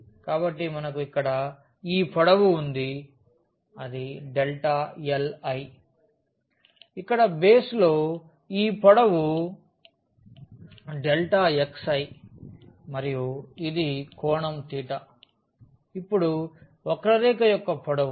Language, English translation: Telugu, So, we have this length here delta l I, this length here in the base here is delta x i and this is the angle theta, now the length of the curve